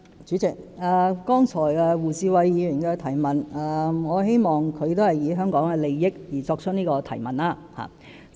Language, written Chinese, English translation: Cantonese, 主席，我希望胡志偉議員剛才的質詢是從香港的利益出發。, President I hope Mr WU Chi - wai is asking this question in the interest of Hong Kong